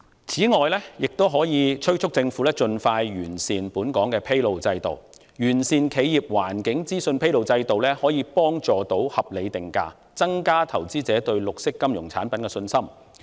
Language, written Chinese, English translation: Cantonese, 此外，我們亦應敦促政府盡快完善本港的披露制度，因為完善的企業環境資訊披露制度有助合理定價，這便能加強投資者對綠色金融產品的信心。, Furthermore we should also urge the Government to expedite the refinement of local disclosure system since a sound system for disclosure of environmental information by enterprises is conducive to reasonable pricing which will help enhance investors confidence in green financial products